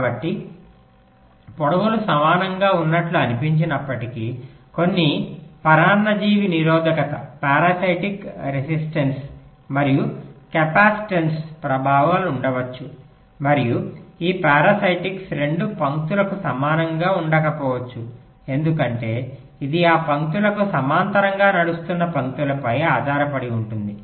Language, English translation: Telugu, so, although it looks like the lengths are equal, but there can be some parasitic, resistance and capacitance effects, right, and these parastics may not be the same for both the lines because it depends on the lines which are running parallel to those lines on the same layer across different layers